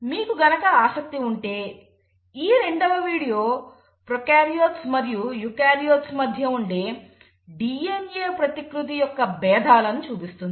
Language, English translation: Telugu, There is another video which also will tell you if you are interested to know, what is the difference between DNA replication in prokaryotes versus eukaryotes